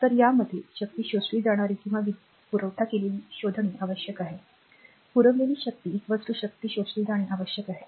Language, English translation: Marathi, So, these are the you have to find out power absorbed or power supplied right, power supplied must be is equal to power absorbed